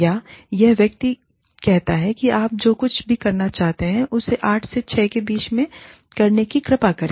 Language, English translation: Hindi, Or, this person says, whatever you want to do, please do it within the, say 8 am to 6 pm range, not outside of it